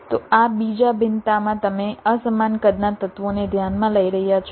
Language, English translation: Gujarati, so in this second you are considering unequal sized elements